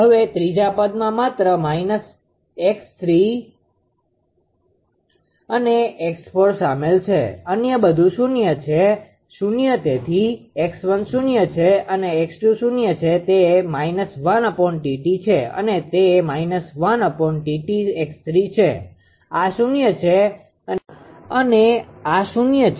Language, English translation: Gujarati, Now third term only minus x 3 and x 4 are involved others everything is 0 so x 1 is 0, x 2 is 0 it is minus 1 upon T t and it 1 upon T t is x 3, this is 0, this is 0 right